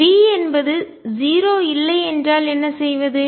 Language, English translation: Tamil, What if V is not 0